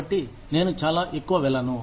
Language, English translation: Telugu, So, I will not go, too much into it